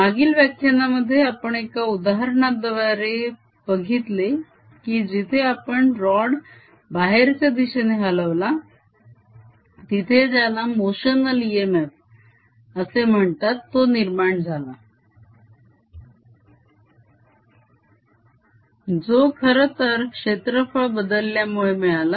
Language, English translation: Marathi, in this previous lecture we saw through an example where we moved a rod out that there was something further motional e m f which actually comes from change of area